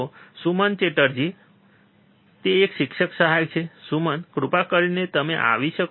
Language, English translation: Gujarati, So, Suman Chatterjee he is a teaching assistance, Suman, please can you please come